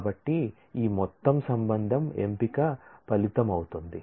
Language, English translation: Telugu, So, this whole relation would be the result of the selection